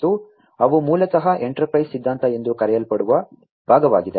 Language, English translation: Kannada, And those basically are part of something known as the enterprise theory